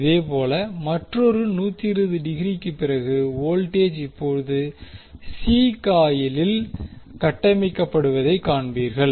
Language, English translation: Tamil, Similarly after another 120 degree you will see voltage is now being building up in the C coil